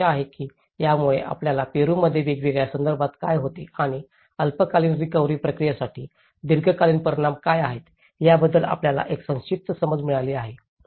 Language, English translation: Marathi, I hope this has given you a brief understanding of what happens in Peru in different context and what are the long term impacts for the short term recovery process